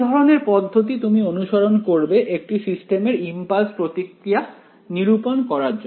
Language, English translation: Bengali, What kind of procedure would you follow for calculating the impulse response of a system